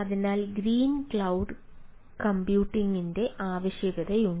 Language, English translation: Malayalam, definitely there is a need of green cloud computing